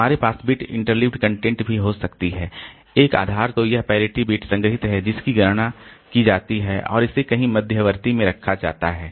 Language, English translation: Hindi, We can have bit interleaf parity also because here we can also one base of this parity bit is stored is computed and it is kept in somewhere intermediate